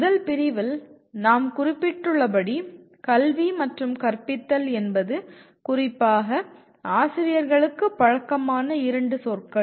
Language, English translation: Tamil, As we mentioned in the first unit, “education” and “teaching” are 2 familiar words to especially teachers because that is their profession